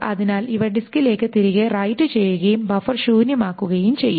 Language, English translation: Malayalam, So this will be written back to the disk and the buffer will be emptied out